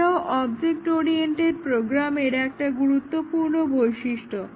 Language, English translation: Bengali, This is another prominent feature of object oriented programming